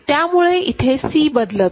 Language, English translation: Marathi, So, C changes over here ok